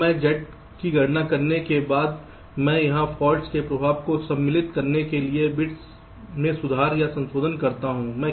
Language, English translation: Hindi, now, after i compute z, i make corrections or modifications to the bits to incorporate the effect of the faults here